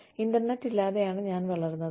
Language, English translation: Malayalam, I grew up, without the internet